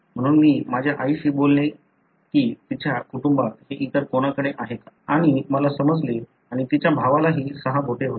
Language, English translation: Marathi, So, I would talk to my mother whether in her family anyone else had this and I understand and her brother also had six fingers